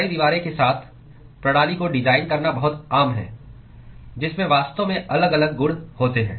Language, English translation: Hindi, It is very, very often very common to design system with multiple wall which actually have different properties